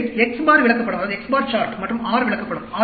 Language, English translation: Tamil, So, X bar chart and R chart